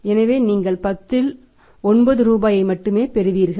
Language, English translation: Tamil, So, the firm will find you receive out of 10 only 9 rupees